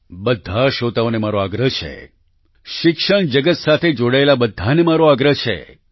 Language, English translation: Gujarati, I appeal to all the listeners; I appeal to all those connected with the field of education